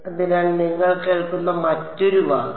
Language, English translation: Malayalam, So, that is another word you will hear